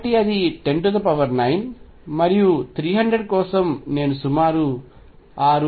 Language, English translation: Telugu, So, that is 10 raise to 9, and for 300 I am going to have about 6 7